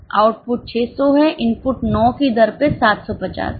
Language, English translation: Hindi, Because 750 is a input for output of 600 units